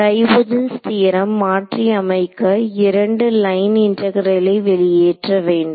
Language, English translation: Tamil, Right, so this divergence theorem will get modified to exclude to have 2 line integrals